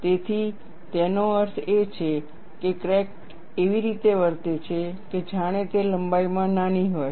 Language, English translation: Gujarati, So, that means, crack behaves as if it is smaller in length